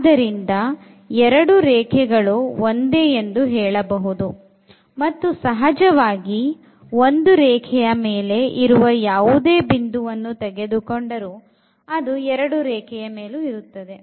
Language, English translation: Kannada, So, they say these two are the same lines and now naturally any point we take on this line I mean they are the same line